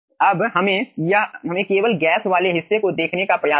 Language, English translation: Hindi, now let us try to see the gas portion only